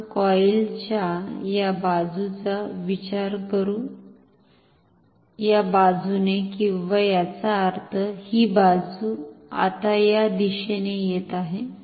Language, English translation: Marathi, Let us consider this side of the coil, this side or; that means, this side now, this side is coming in this direction